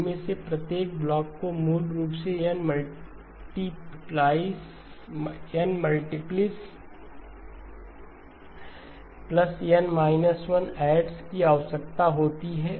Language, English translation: Hindi, Each of these blocks basically requires N multiplies plus N minus 1 adds